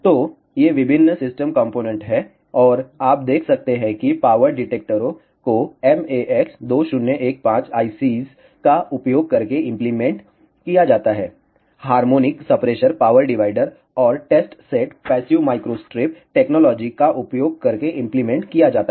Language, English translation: Hindi, So, these are various system components and you can see the power detectors are implemented using MAX 2015 ICS, the harmonic suppressor power divider and test set are implemented using passive microstrip techniques